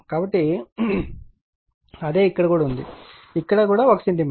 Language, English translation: Telugu, So, same is here also here also it is your what you call 1 centimeter